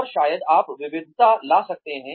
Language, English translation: Hindi, And maybe, you can diversify